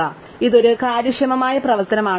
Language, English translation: Malayalam, So, this is an efficient operation